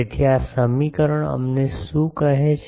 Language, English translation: Gujarati, So, what is this equation tells us